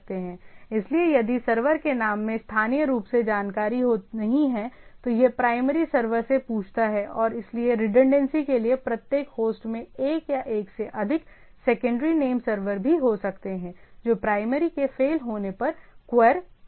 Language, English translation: Hindi, So, if the name of the server does not have an information locally, it asks the primary server and so on for the redundancy each host may also have one or more secondary name servers, which may be queried when the primary fails